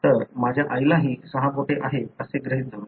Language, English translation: Marathi, So, assuming my mother is also having six fingers